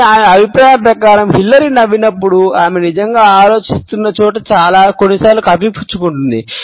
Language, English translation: Telugu, But in her opinion, when Hillary smiles she sometimes covering up where she is really thinking